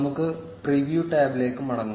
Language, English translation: Malayalam, Let us go back to the preview tab